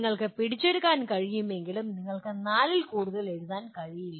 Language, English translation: Malayalam, And whether you can capture but you cannot write more than four